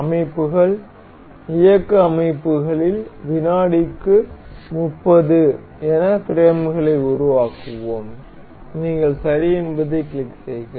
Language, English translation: Tamil, And in the settings, motion settings, we will make the frames per second as say 30, you click ok